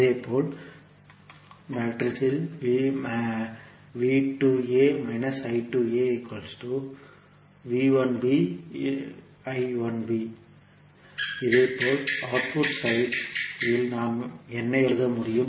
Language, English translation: Tamil, Similarly, at the output side what we can write